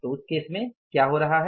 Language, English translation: Hindi, So, what we do in this case